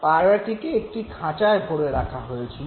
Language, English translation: Bengali, The pigeon was put in a cage